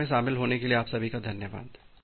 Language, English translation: Hindi, Thank you all for attending this class